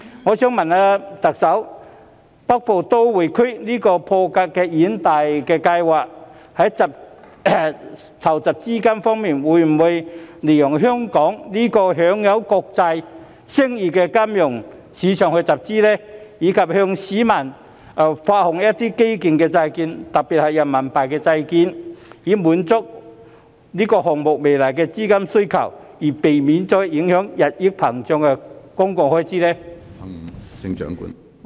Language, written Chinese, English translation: Cantonese, 我想問特首，北部都會區這項破格的遠大計劃，在籌集資金方面會否利用香港這個享有國際聲譽的金融市場去集資，以及向市民發行基建債券，特別是人民幣債券，以滿足這項目未來的資金需求，避免日益膨脹的公共開支受到影響？, I would like to ask the Chief Executive Will the funding for this groundbreaking and visionary Northern Metropolis project be raised through Hong Kongs financial market which enjoys an international reputation and the public issuance of infrastructure bonds in particular renminbi RMB bonds? . This will not only meet the future funding requirement for this project but also avoid any implications for the growing public expenditure